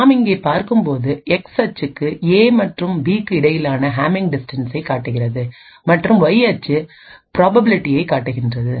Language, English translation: Tamil, And as we see over here, on the X axis it shows the Hamming distance between A and B and the Y axis shows the probability